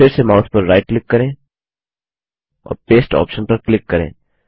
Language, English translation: Hindi, Again right click on the mouse and click on the Paste option